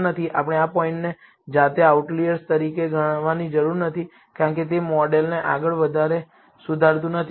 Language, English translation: Gujarati, We need not treat this point as an outlier by itself, because it does not improvise the model any further